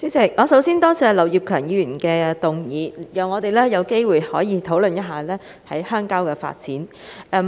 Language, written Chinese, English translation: Cantonese, 主席，首先多謝劉業強議員提出這項議案，讓我們有機會討論鄉郊發展。, President I would first of all like to thank Mr Kenneth LAU for moving this motion and giving us an opportunity to discuss rural development